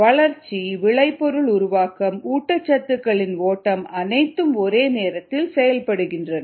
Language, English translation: Tamil, the growth, product formation, flow of nutrients, all happens, all happen simultaneously